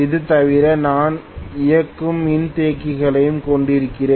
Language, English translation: Tamil, Apart from this I am also going to have a running capacitor